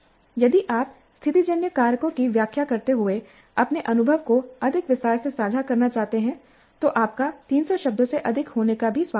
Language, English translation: Hindi, If you wish to share your experience in greater detail, explaining the situational factors, you are welcome to exceed 300 words also